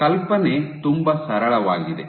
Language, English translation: Kannada, The idea is very simple